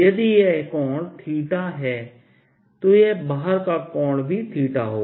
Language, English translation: Hindi, if this angle is theta, so is going to be this angel theta